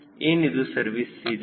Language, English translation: Kannada, what is service ceiling